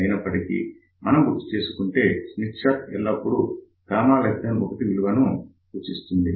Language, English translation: Telugu, However, as you might recall Smith chart always represents gamma less than 1